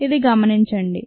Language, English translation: Telugu, remember, this has been observed